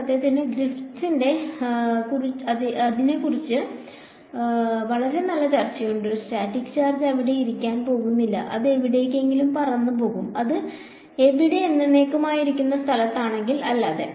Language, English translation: Malayalam, In fact, Griffiths has a very nice discussion about it a static charge is not going to sit there it will fly off somewhere over the other, unless it is in the place where there is no fields whatsoever sitting there forever